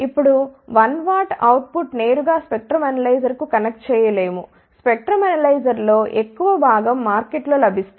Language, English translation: Telugu, Now, 1 watt output cannot be directly connected to the spectrum analyzer, majority of the spectrum analyzers which are available in the market